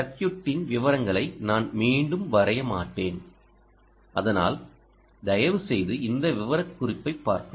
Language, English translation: Tamil, i will not redraw the circuit, the ah details of it, but please do go through this specification